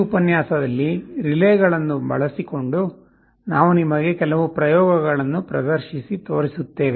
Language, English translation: Kannada, In this lecture, we shall be showing you some hands on demonstration experiments using relays